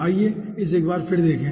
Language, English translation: Hindi, let us see it once again